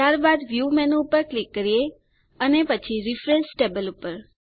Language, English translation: Gujarati, Next click on the View menu and then on Refresh Tables